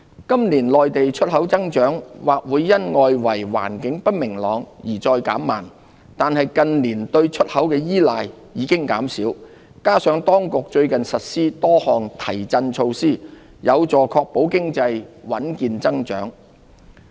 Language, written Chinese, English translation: Cantonese, 今年內地出口增長或會因外圍環境不明朗而再減慢，但近年對出口的依賴已減少，加上當局最近實施多項提振措施，有助確保經濟穩健增長。, This year export growth may further slacken due to external uncertainties . That said the Mainland has become less dependent on exports in recent years . This coupled with a host of stimulus measures rolled out by the authorities recently will help ensure solid economic growth